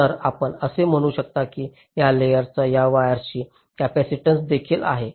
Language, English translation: Marathi, so you can say that there is also a capacitance of this wire to this substrate